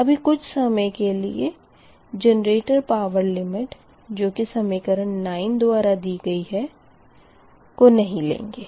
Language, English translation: Hindi, now, also, for the time being, do not consider generated power limits given by equation nine